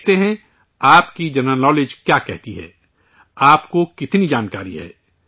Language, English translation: Urdu, Let's see what your general knowledge says… how much information you have